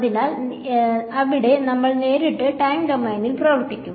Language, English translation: Malayalam, So, there we will work directly in the time domain ok